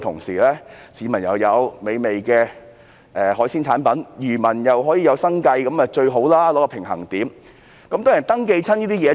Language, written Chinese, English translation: Cantonese, 市民能享用美味的海鮮產品，漁民又可維持生計，取得平衡點，那是最理想。, It would be most desirable if a balance can be struck between the publics enjoyment of delicious seafood and fishermens maintaining their livelihood